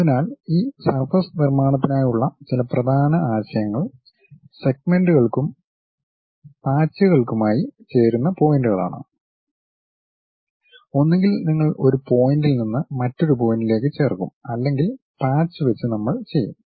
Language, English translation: Malayalam, So, some of the important concepts for this surface constructions are join points for segments and patches either you join by one point to other point or by patches we will do